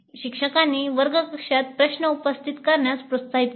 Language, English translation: Marathi, The instructor encouraged the students to raise questions in the classroom